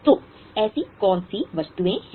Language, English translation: Hindi, So, which are such items